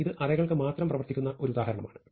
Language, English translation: Malayalam, So, here is an example of something which works only for arrays